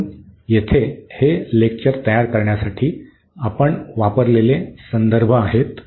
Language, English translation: Marathi, So, here these are the references we have used to prepare these lectures and